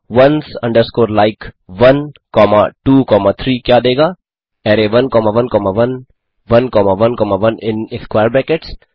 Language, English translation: Hindi, What does ones underscore like 1 comma 2 comma 3 produce array 1 comma 1 comma 1 1 comma 1 comma 1 in square brackets